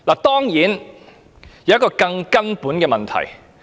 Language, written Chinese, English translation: Cantonese, 當然，還有一個更根本的問題。, Of course there is a more fundamental problem